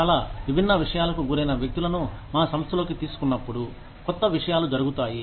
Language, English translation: Telugu, When we get people, who have been exposed to a lot of different things, into our organization, newer things happen